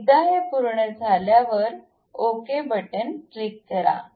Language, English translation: Marathi, So, once it is done, click ok